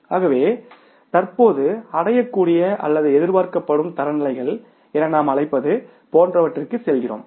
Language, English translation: Tamil, So then we go for something like we call it as currently attainable or expected standards